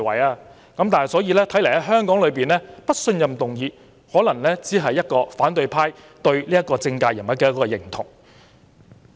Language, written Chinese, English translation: Cantonese, 所以，在香港議會對某政界人物提出"不信任"議案，可能只是反對派對此人的認同。, Hence a no - confidence motion moved against a certain political figure in the legislature of Hong Kong should probably be regarded as a stamp of approval from the opposition camp